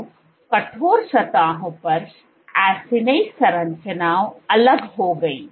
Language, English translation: Hindi, So, on the stiff surfaces, acini structures fell apart